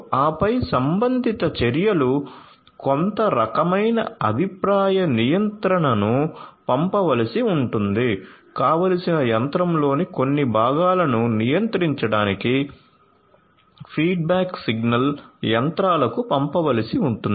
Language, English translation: Telugu, And then the corresponding actions you know maybe some kind of a feedback control will have to be sent a feedback signal will have to be sent to the machinery to control to control certain components in the desired machine